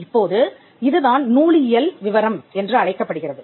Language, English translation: Tamil, Now, and this is what is known as bibliographical detail